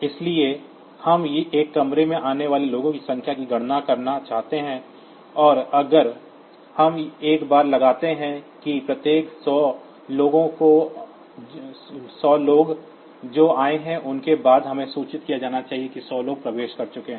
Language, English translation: Hindi, So, if we want to count the number of people that have arrived in a room, and if we put a bar that after every 100 people that have come, we need to be notified that 100 people have entered